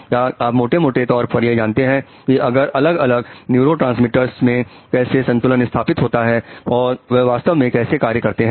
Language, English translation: Hindi, We know about some grossly, the gross balance of various neurotransmitters and how they really affect